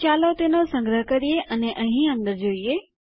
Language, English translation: Gujarati, So, lets save that and have a look in here